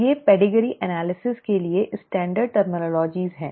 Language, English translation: Hindi, These are standard terminologies for Pedigree analysis